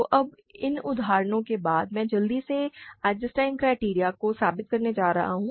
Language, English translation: Hindi, So, now this after these examples, I am going to quickly prove the Eisenstein criterion